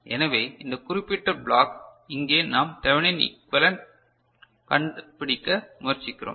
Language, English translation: Tamil, So, this particular block over here we are trying to find the Thevenin equivalent ok